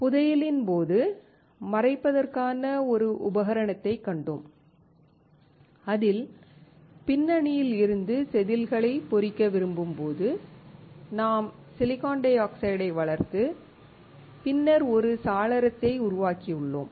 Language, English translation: Tamil, We have seen an example of masking in the fabrication that when we want to etch the wafer from the backside, we have to we have grown silicon dioxide and then have created a window